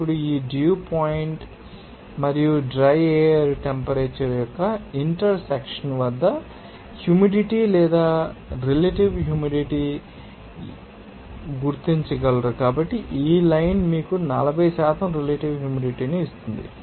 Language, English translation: Telugu, Now, at this intersection of this dew point and dry air temperature, what is the percentage you know that is humidity or relative humidity in percentage, you can you know identify so this line will give you that 40% relative humidity